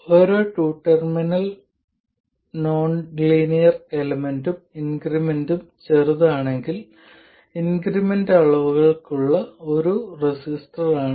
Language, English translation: Malayalam, So, every two terminal nonlinear element is a resistor for incremental quantities provided the increment is small